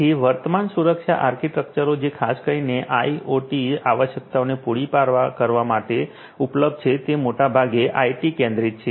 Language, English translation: Gujarati, So, the current security architectures that are available particularly for catering to IoT requirements are mostly IT centric